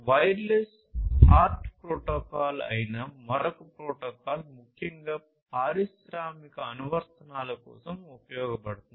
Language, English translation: Telugu, So, this wireless HART protocol is used particularly for industrial applications